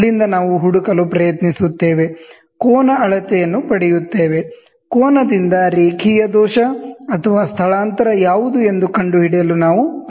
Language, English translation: Kannada, From there, we try to find, we get the angle measurement; from the angle, we try to find out what is the linear error or the displacement, ok